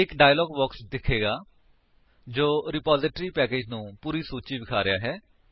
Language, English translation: Punjabi, A dialog box appears showing all the list of repository packages